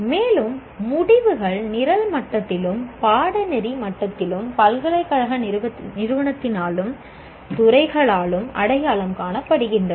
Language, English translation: Tamil, And outcomes are identified at the program level and the course level by the university's institution and also by the departments